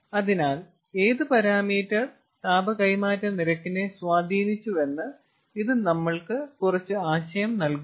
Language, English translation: Malayalam, so this gives us some idea that which parameter has got what effect on the rate of heat transfer